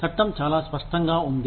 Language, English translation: Telugu, The law is very clear cut